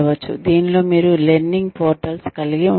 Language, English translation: Telugu, In which, you could have learning portals